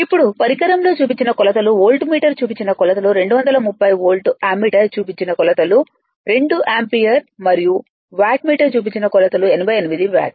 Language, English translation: Telugu, Now, hence the readings of the instrument are volt meter reading 230 volt, ammeter reading 2 ampere and wattmeter meter reading will be 88 watt right